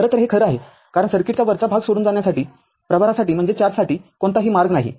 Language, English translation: Marathi, In fact, this is true because there is no path for charge to leave the upper part of the circuit right